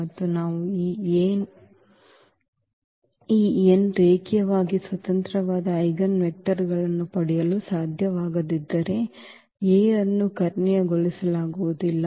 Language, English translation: Kannada, And if we cannot get these n linearly independent eigenvectors then the A is not diagonalizable